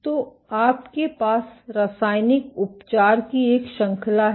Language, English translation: Hindi, So, you then have a series of chemical treatments